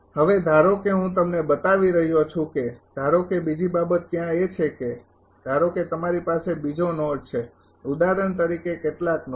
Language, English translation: Gujarati, Now, suppose I am show you suppose another thing is there suppose you have another node say node i for example, some node